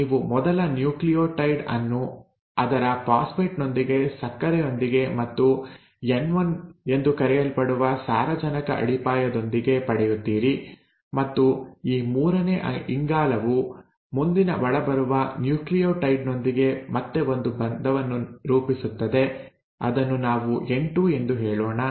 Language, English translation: Kannada, You get the first nucleotide, with its phosphate, with its sugar and with its nitrogenous base let us say N1, and this forms, this third carbon forms again a bond with the next incoming nucleotide, let us say N2